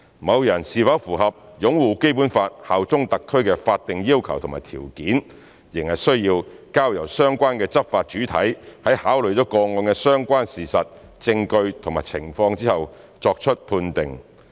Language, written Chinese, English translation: Cantonese, 某人是否符合"擁護《基本法》、效忠香港特區"的法定要求和條件，仍須交由相關的執法主體在考慮了個案的相關事實、證據和情況後作出判定。, Whether a person meets the statutory requirements and conditions of upholding the Basic Law and bearing allegiance to HKSAR would still be determined by the relevant law enforcement body after considering the relevant facts evidence and circumstances of the case